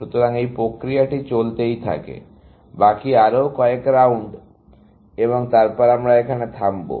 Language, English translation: Bengali, So, this process continues, the rest of the couple of more rounds and then, we will stop